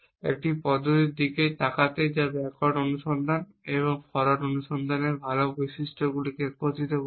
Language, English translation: Bengali, To look at an approach which will combine the good features of backward search and forward search